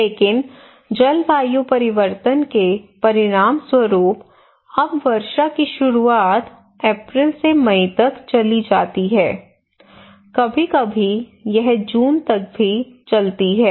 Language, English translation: Hindi, But as a result of climate change the rain now the onset of rainfall now moved from rain now move from April to May, sometimes it moves to June even